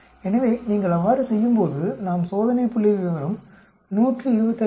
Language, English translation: Tamil, So when you do that, we will get test statistics is 125